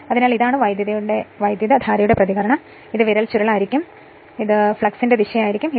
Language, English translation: Malayalam, So, this is the reaction of the current and this will be the finger your curling this will be the direction of the flux right